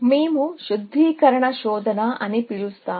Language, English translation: Telugu, We look at something called refinement search